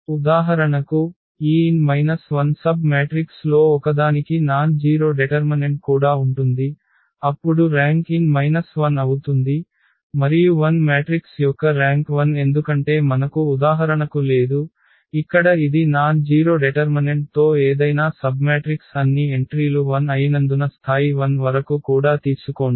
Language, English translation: Telugu, But for instance, this n minus one submatrices even one has nonzero determinant then the rank will be that n minus 1, and rank of a 0 matrix is 0 because we do not have for example, here this any submatrix with nonzero determinant any submatrix we take, even up to level 1 also because all the entries are 0